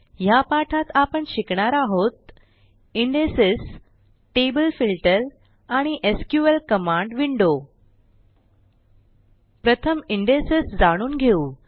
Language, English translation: Marathi, In this tutorial, we will learn the following topics: Indexes Table Filter And the SQL Command window Let us first learn about Indexes